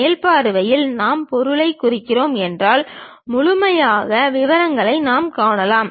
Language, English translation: Tamil, In top view if we are representing the object, the complete details we can see